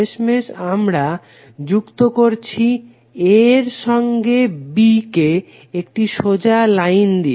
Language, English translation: Bengali, Finally we are connecting a with to b through straight line